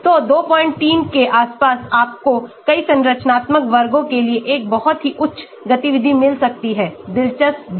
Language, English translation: Hindi, 3 you may get a very high activity for many of the structural classes also , interesting